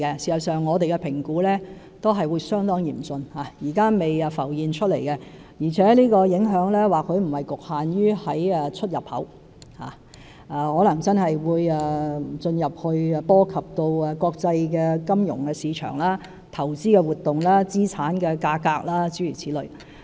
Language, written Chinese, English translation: Cantonese, 事實上，據我們評估，情況也是會相當嚴峻，現時尚未浮現，而且影響或許不局限於出入口，可能會進而波及國際金融市場、投資活動和資產價格，諸如此類。, In fact according to our assessment the situation will be rather grim . At present the impact has not yet surfaced and it is not limited to imports and exports but may then spread to the international financial market investment activities and asset prices etc . Therefore the Special Administrative Region Government will stay vigilant